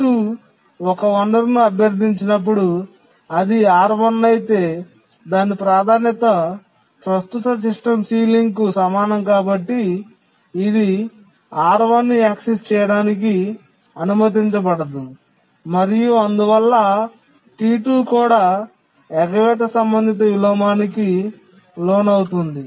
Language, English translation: Telugu, When it requests a resource, let's say R1, yes, because its priority is just equal to the current system ceiling, it will not be allowed access to R1 and T2 can also undergo avoidance related inversion